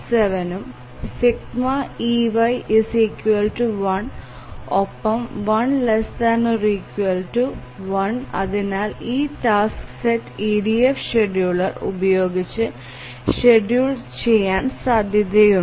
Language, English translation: Malayalam, 67 and sigma EY is equal to 1, which is less than equal to 1, and therefore this task set is feasibly schedulable using the EDF scheduler